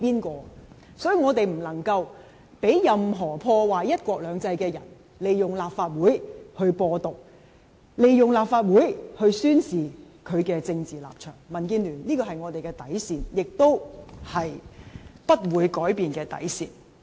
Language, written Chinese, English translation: Cantonese, 因此，我們不能讓任何破壞"一國兩制"的人，利用立法會來"播獨"，利用立法會來宣示他的政治立場，這是民建聯的底線，是不會改變的底線。, Therefore we cannot let anyone who is to destroy one country two systems do so by using the Legislative Council to spread independenism and declare his political stance . It is the bottom line of the Democratic Alliance for the Betterment and Progress of Hong Kong which will never change